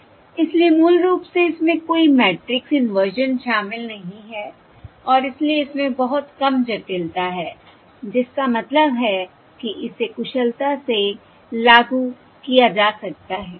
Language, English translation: Hindi, alright, So basically its it does not involve any matrix inversion and therefore it has a very low complexity, which means it can be implemented efficiently